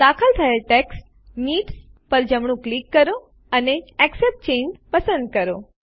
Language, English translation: Gujarati, Right click on the inserted text needs and select Accept Change